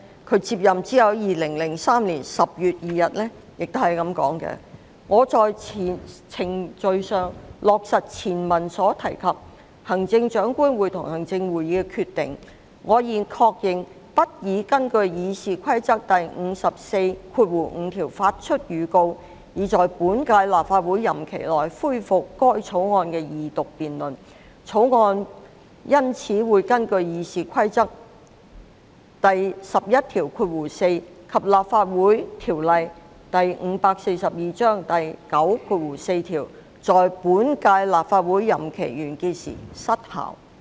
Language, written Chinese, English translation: Cantonese, 他接任後，在2003年10月2日表示："為在程序上落實前文所提及，行政長官會同行政會議的決定，我現確認我不擬根據《議事規則》第545條發出預告，以在本屆立法會任期內恢復該草案的二讀辯論。草案因此會根據《議事規則》第114條及《立法會條例》第94條，在本屆立法會任期完結時失效。, After taking office he stated on 2 October 2003 that to give effect procedurally to the Chief Executive in Councils decision referred to above I am writing to confirm that I shall not give notice under Rule 545 to resume second reading debate of the bill within the current term of the Legislative Council with the result that the bill will lapse at the end of this term pursuant to Rule 114 and section 94 of the Legislative Council Ordinance Cap